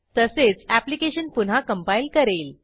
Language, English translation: Marathi, It will also recompile the application